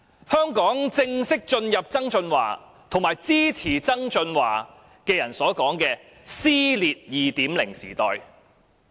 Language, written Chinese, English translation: Cantonese, 香港正式進入曾俊華及其支持者所說的"撕裂 2.0 時代"。, Hong Kong has formally entered the era of cleavage 2.0 as described by John TSANG